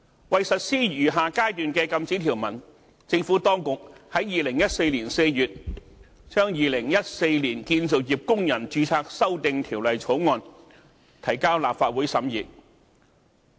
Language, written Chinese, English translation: Cantonese, 為實施餘下階段的禁止條文，政府當局在2014年4月把《2014年建造業工人註冊條例草案》提交立法會審議。, In order to implement the remaining phases of the prohibitions the Administration tabled the Construction Workers Registration Amendment Bill 2014 the Bill before this Council in April 2014